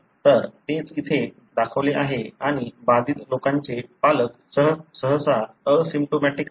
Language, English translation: Marathi, So, that’s what is shown here and parents of the affected people are usually asymptomatic